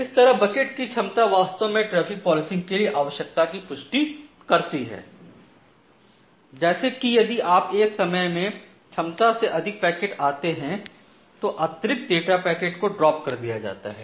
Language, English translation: Hindi, So, that way the capacity of the bucket is actually confirming the requirement for traffic policer, like if you are exceeding this much of capacity at a time then you drop out or you delete drop the additional packets additional data packets which are there